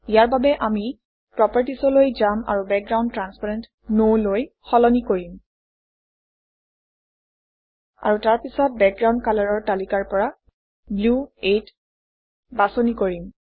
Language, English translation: Assamese, To do this, we will go to the properties and change the Background transparent to No, And then select Blue 8 from the list for Background colour